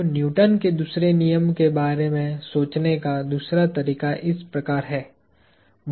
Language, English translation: Hindi, So, a second way of thinking of the Newton’s second law is as follows